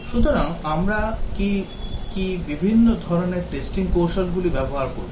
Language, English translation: Bengali, So, what are the different types of testing strategies that we will use